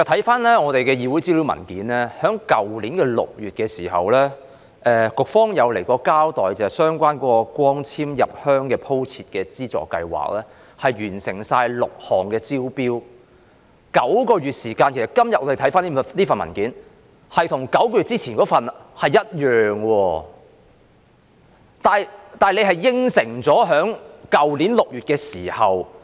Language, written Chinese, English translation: Cantonese, 翻查我們的議會資料文件，在去年6月，局方曾出席立法會的一個會議，交代在相關光纖入鄉鋪設的資助計劃下，已完成6項工程的招標工作，但我們今天翻看這份文件，跟9個月之前的那份文件的內容是非常相似的，但是，政府在去年6月已答應......, We learn from an information paper of our Council that in June last year the Bureau attended a meeting of the Council telling us that under the Subsidy Scheme in relation to extending fibre - based networks to villages the tendering exercise on six projects had already been finished . But after reading this paper today we find that its content is very similar to that of the paper nine months ago